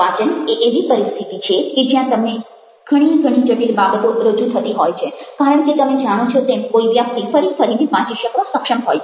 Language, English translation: Gujarati, reading is a situation where you have very, very complex things presented because you see that one person is capable of reading again, and again, and again